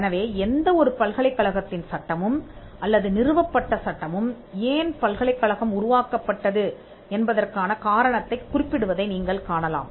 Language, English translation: Tamil, So, you will see that the statute or the establishing enactment of any university would mention the reason, why the university was created